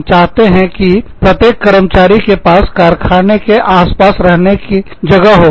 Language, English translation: Hindi, We want every employee, to have a place to stay, somewhere near the factory